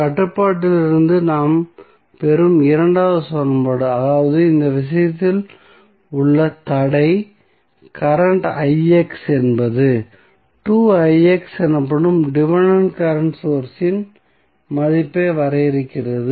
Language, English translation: Tamil, The second equation we will get from the constraint equation that is the constraint in this case is current i x which is defining the value of dependent current source that is 2i x